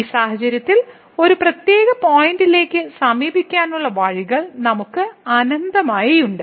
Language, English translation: Malayalam, In this case we have infinitely many paths a ways to approach to a particular point